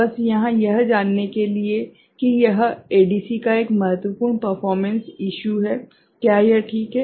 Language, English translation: Hindi, Just here to know that this is an important performance issue of an ADC right, is it fine